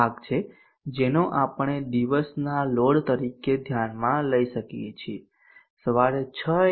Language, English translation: Gujarati, will be the portion that we can consider as a day load even at 6 a